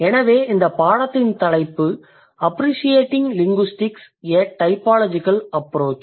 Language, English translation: Tamil, So, there comes the title of this course appreciating linguistics typological approach